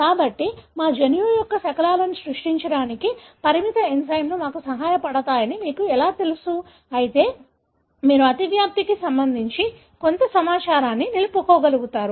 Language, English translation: Telugu, So, this is how you know restriction enzymes help us to create fragments of our genome, yet you are able to retain some information with regard to the overlap and so on